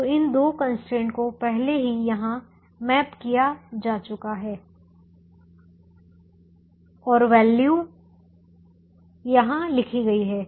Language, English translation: Hindi, so these two constraints have already been mapped here and the values are written here